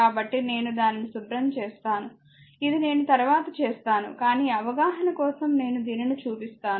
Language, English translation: Telugu, So, let me clean it, this I have done it later, but for your understanding I showed this one